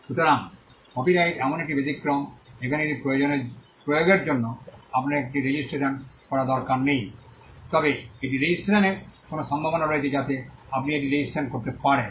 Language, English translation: Bengali, So, copyright is an exception where you need not need to register it for enforcing it, but registration this there is a possibility there is a way in which you can register it